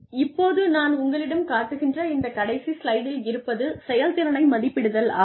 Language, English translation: Tamil, What I will now take you to is the last slide here, appraising performance